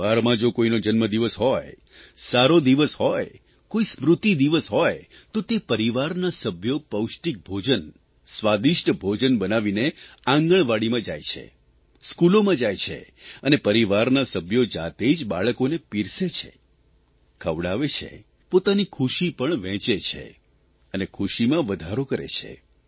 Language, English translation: Gujarati, If the family celebrates a birthday, certain auspicious day or observe an in memoriam day, then the family members with selfprepared nutritious and delicious food, go to the Anganwadis and also to the schools and these family members themselves serve the children and feed them